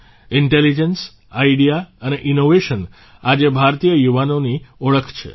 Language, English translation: Gujarati, 'Intelligence, Idea and Innovation'is the hallmark of Indian youth today